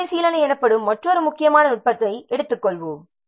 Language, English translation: Tamil, Then we will take another important technique called as review